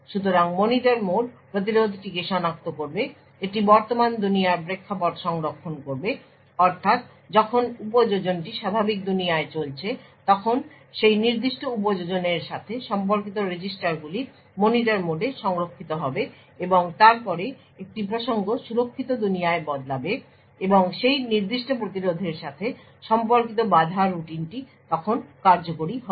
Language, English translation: Bengali, So, the Monitor mode will identify the interrupt that has occurred it would save the context of the current world that is if when application is running in the normal world the registers corresponding to that particular application is saved in the Monitor mode and then there is a context switch to the secure world and the interrupt routine corresponding to that particular interrupt is then executed